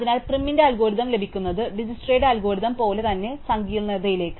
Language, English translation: Malayalam, So, getting PrimÕs algorithm also down to the same complexity as DijskstraÕs algorithm